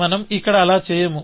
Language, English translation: Telugu, So, we do not do anything